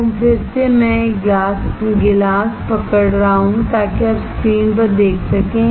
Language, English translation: Hindi, So, again I am holding a glass, so can you see on the screen